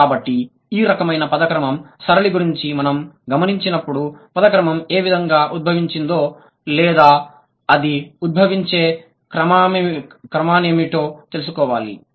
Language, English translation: Telugu, So, when we notice something about this kind of a word order pattern, we need to find out if the word order has evolved like this, what could have been the possible reason